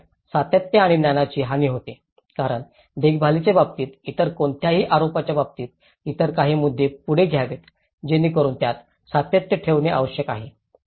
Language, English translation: Marathi, So, that is where the continuity and loss of knowledge because in terms of maintenance, in terms of any other allegations, any other issues to be taken further so that is where the continuity aspect has to be looked into it